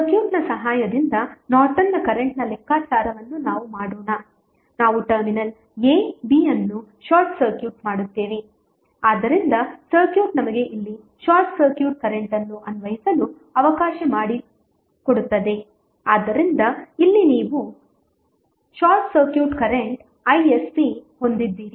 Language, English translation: Kannada, Let us do the calculation of Norton's current with the help of the circuit we will just simply short circuit the terminal a, b so the circuit would be let us apply here the short circuit current so here you have short circuit current i sc